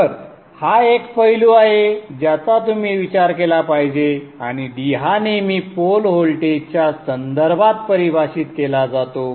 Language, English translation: Marathi, So that is one aspect which you have to consider and that D is always defined with respect to the pole voltage